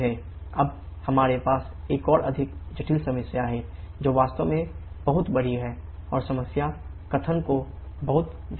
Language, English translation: Hindi, Now, we have a more complicated problem, which is the really very large and read the problem statement very, very carefully